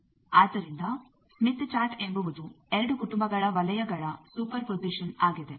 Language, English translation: Kannada, So, smith chart is superposition of two families of circles